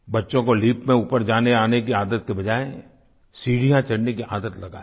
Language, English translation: Hindi, The children can be made to take the stairs instead of taking the lift